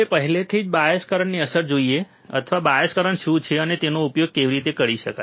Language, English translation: Gujarati, Now we have already seen the effect of bias current, or what is the bias current and how it can be used right